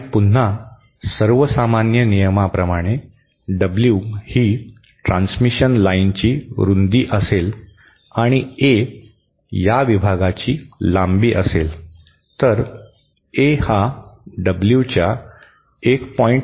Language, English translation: Marathi, And again the rule of thumb is supposed W is the width of the transmission line and A is the length of this section then A should be equal to 1